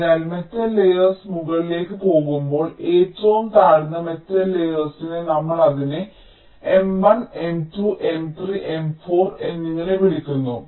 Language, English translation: Malayalam, so, as the metal layers go up, the lowest metal layer, we call it m one, then m two, then m three, then m four, like that